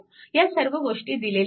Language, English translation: Marathi, So, all this things are a given